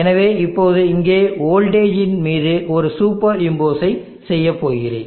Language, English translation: Tamil, So now here what I am going to do now is a super impose on the voltage